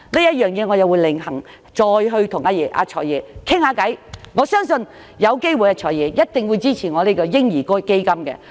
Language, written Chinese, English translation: Cantonese, 關於這方面，我會另行約見"財爺"討論，我相信他一定會支持我提出的嬰兒基金建議。, In this connection I will arrange to discuss with the Financial Secretary on another occasion and I trust that he will surely support my proposal for the baby fund . Thank you Financial Secretary